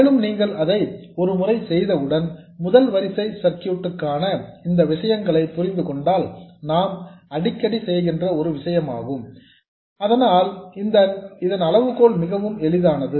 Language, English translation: Tamil, And once you do that, once you understand these things for first order circuits which is what we most often encounter, the criterion is really easy